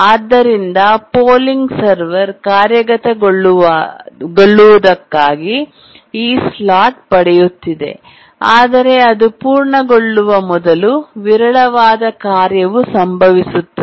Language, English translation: Kannada, So the polling server was getting this slot for execution, but towards the end of it just before it completes the sporadic task occurred